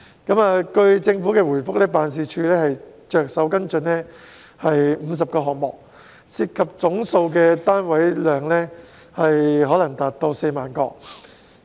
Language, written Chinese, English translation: Cantonese, 據政府的回覆，辦事處正着手跟進50個項目，涉及的總單位數量可能達到4萬個。, According to the Governments reply the Office is working on 50 projects with the total number of flats involved probably reaching 40 000